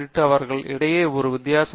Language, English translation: Tamil, What is a difference between them